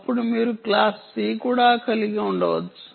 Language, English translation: Telugu, then you can also have class c